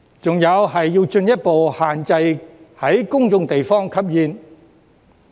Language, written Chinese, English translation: Cantonese, 還有就是要進一步限制在公眾地方吸煙。, What is more there is also the need to further restrict smoking in public places